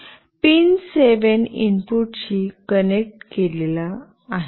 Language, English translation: Marathi, Pin 7 is connected to the input